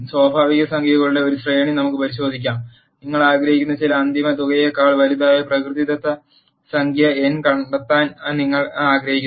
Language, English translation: Malayalam, Let us consider a sequence of natural numbers; you want to find a natural number n after which the sum of the natural numbers n is greater than certain final sum you wanted to be